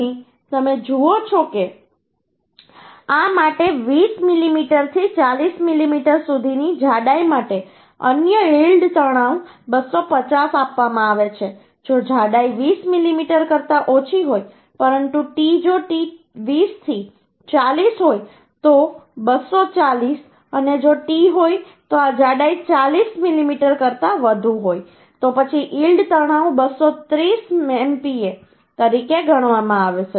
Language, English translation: Gujarati, for this 250 we can achieve if thickness is less than 20 mm, but t, if t is 20 to 40, then 240 and if t is this thickness is more than 40 mm, then the yield stress is going to be consider as 230 MPa